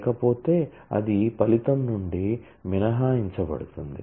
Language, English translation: Telugu, Otherwise it will be excluded from the result